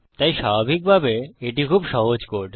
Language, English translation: Bengali, So obviously, this is a very simple code